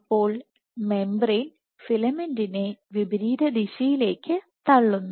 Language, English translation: Malayalam, So, membrane pushes the filament in opposite direction